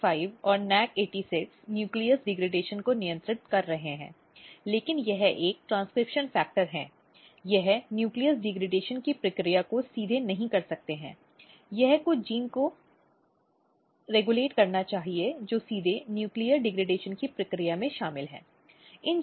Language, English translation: Hindi, So, NAC45 and NAC86 is regulating nucleus degradation, but it is transcription factor it cannot go and directly regulate the process of nucleus degradation, it must be regulating some of the genes which is directly involved in the process of nuclear degradation